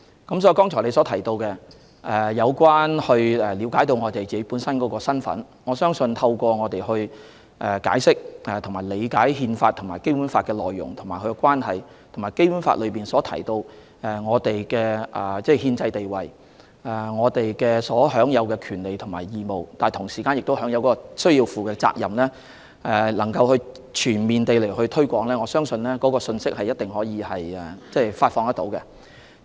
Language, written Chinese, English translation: Cantonese, 所以，議員剛才提及市民要了解自己的身份，我相信透過政府解釋和理解《憲法》和《基本法》的內容和關係，以及《基本法》內提及我們的憲制地位、所享有的權利和義務，但同時需要負上的責任，並全面進行推廣工作，一定能夠發放有關信息。, Hence regarding the need to let people understand their national identity something that the Member just mentioned I believe the Government can disseminate the messages by comprehensively explaining and elaborating on the contents of the Constitution and the Basic Law and the relationship between the two our constitutional status as well as our rights duties and obligations at the same time as provided in the Basic Law